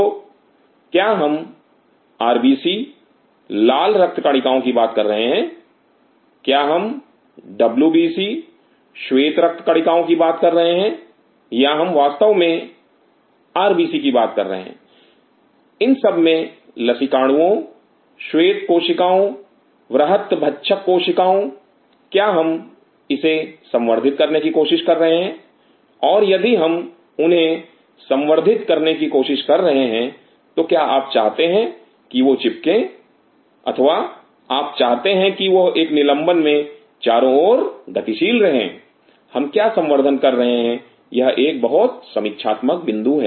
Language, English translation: Hindi, So, are we talking about RBC red blood cells, are we talking about WBC wide blood cells or we talking about of course RBC in this all the Lymphocytes, Leukocytes Macrophages are we trying to culture this, and if we trying to culture them do you want them to adhere or we want them to you know in a suspension to move around what are we culturing this is the very critical point